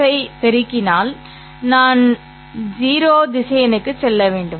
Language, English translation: Tamil, If I multiply 0 with x I should get to 0 vector